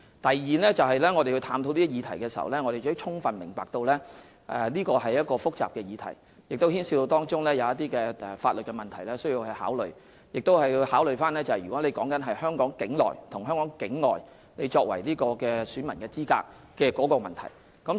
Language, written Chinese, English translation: Cantonese, 第二，當我們探討這項議題時，我們充分明白到這是複雜的議題，當中牽涉到一些必須考慮的法律問題，而我們亦要考慮個別人士在香港境內與香港境外作為選民資格的問題。, Second in the process of exploring this matter we have fully realized that it is a complicated matter involving certain legal issues that must be taken into account and we have to consider the eligibility of individuals to be electors when they are outside Hong Kong as opposed to when they are in Hong Kong